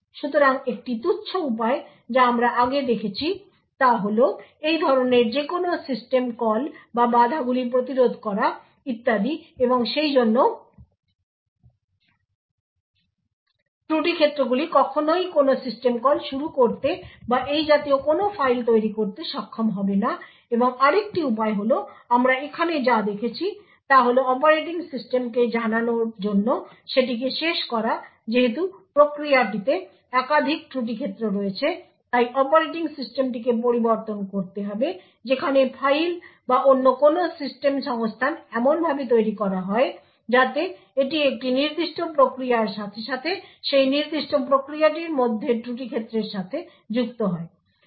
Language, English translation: Bengali, So one trivial way what we have seen before is to prevent any such system calls or interrupts so on and therefore fault domains would never be able to invoke any system call or create any such files and other way as we seen over here is to end to let the operating system know that the process has multiple fault domains thus the operating system has to be modified where files or any other system resources are created in such a way that it gets linked to a particular process as well as the fault domain within that particular process, if the OS is thus aware of all the fault domains present within the process the fault domain 1 would be able to create a particular file which is not accessible by fault domain 2